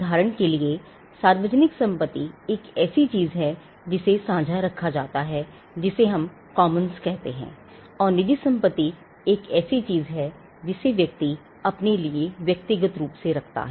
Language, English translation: Hindi, For instance, public property is something which is held in common, what we call the commons and private property is something which a person holds for himself individually